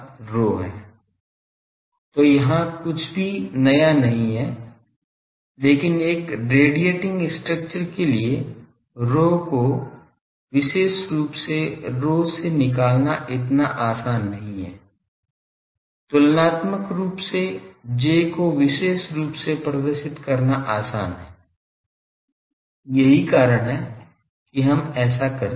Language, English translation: Hindi, So, there is nothing new here, but finding rho over characterizing rho for a radiating structure is not so easy comparatively characterizing the J is easier that is why we do it